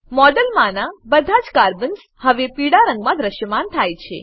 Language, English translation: Gujarati, All the Carbons in the model, now appear yellow in colour